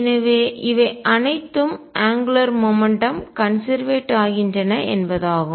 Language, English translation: Tamil, So, all these mean that angular momentum is conserved